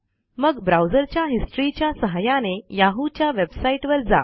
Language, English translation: Marathi, Then go to the yahoo website by using the browsers History function